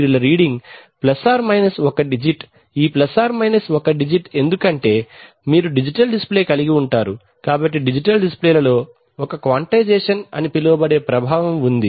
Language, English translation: Telugu, 2% of reading ± one digit, this ± one digit comes because you are going to have a digital display, so we see that in digital displays there has to be a, there is a, there is an effect called quantization